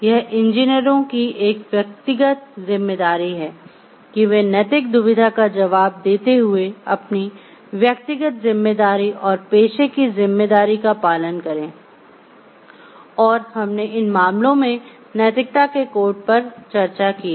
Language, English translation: Hindi, It is a individuals responsibility of the engineers to follow their individual responsibility and professional responsibility while answering for ethical dilemma and we have also discussed about the codes of ethics as mentioned in the cases